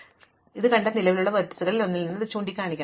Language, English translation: Malayalam, So, it must point from one of the existing vertices which I have already seen before